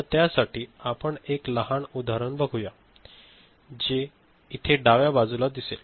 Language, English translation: Marathi, So, for which we look at one small example, what you see in the left hand side